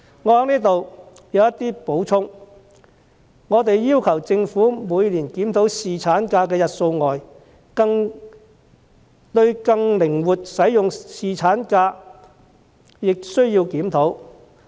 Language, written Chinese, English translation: Cantonese, 我們除要求政府每年檢討侍產假的日數外，亦認為需對更靈活使用侍產假進行檢討。, Apart from requesting the Government to review the number of paternity leave days every year we also think that it needs to examine how paternity leave can be used more flexibly